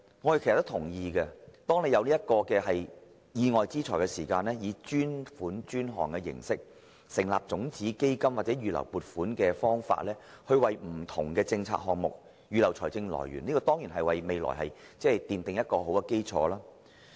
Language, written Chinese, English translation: Cantonese, 我們也同意，每當有意外之財時，應以專款專項形式成立種子基金或以預留撥款的方法，為不同的政策項目預留財政來源，為未來奠定一個良好的基礎。, We also agree that windfall money if available should be used to provide funding for various policy initiatives in the form of seed money for dedicated purposes or reserved provisions with a view to laying a good foundation for the future